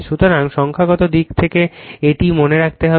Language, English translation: Bengali, So, this from the numerical point of view this you have to keep it in mind